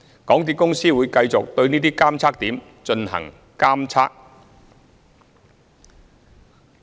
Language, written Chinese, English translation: Cantonese, 港鐵公司會繼續對這些監測點進行監測。, MTRCL would continue to monitor the situation of these monitoring points